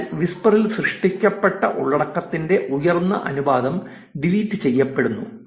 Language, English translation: Malayalam, So, there is higher proportion of content generated on whisper which is getting deleted